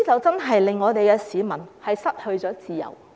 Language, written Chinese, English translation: Cantonese, 在"黑暴"期間，市民真的失去自由。, During the period when black - clad rioters ran amok people really lost their freedom